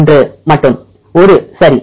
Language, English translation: Tamil, One only, one right